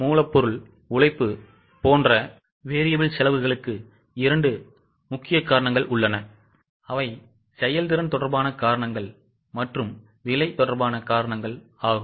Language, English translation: Tamil, For variable costs like material labor, there are two major causes, efficiency related and price related